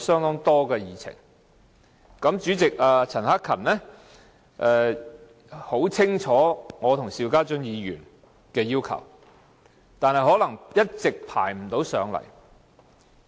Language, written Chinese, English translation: Cantonese, 保安事務委員會主席陳克勤議員很清楚我和邵家臻議員的要求，但可能一直不能安排上來。, Mr Chan Hak - kan Chairman of the Panel of Security understands my request and Mr SHIU Ka - chuns very well . However he may not be able to arrange for the discussion